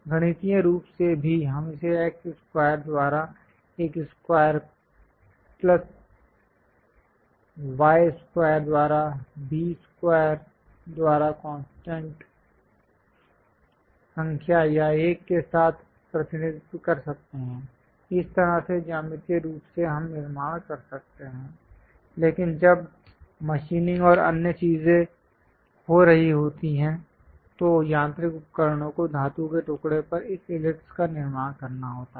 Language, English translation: Hindi, Mathematically also we can represent it by x square by a square plus y square by b square with constant number or 1; that way geometrically we can construct, but when machining and other things are happening, the mechanical tools has to construct this ellipse on metal place